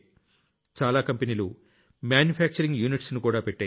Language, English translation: Telugu, Many companies are also setting up manufacturing units